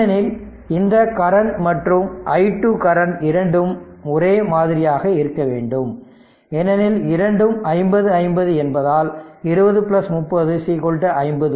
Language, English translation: Tamil, Because both current this current and i 2 current both have to be same because both are 50 50 because 20 plus 30 50 ohm; that means, 2 i 2 is equal to your i 1